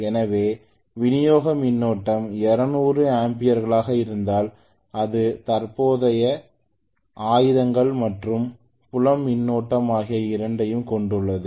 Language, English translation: Tamil, So if the supply current is 200 amperes this consist of both armatures current and as well as field current